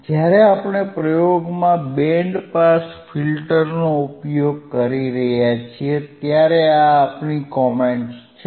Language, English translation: Gujarati, This is our comment when we are using the band pass filter in the experiment in the experiment